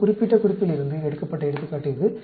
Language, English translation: Tamil, This is the example taken from this particular reference